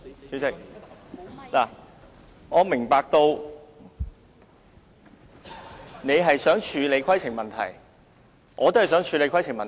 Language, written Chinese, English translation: Cantonese, 主席，我明白你想處理規程問題，我也想處理規程問題。, President I understand that you want to deal with the point of order so do I